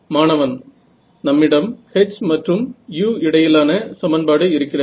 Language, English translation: Tamil, We have a relation between h and u